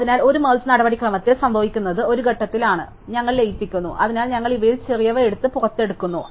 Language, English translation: Malayalam, So, what will happen in a merge procedure is at some point, so we are merging, so we pick the smaller of these two and pulled out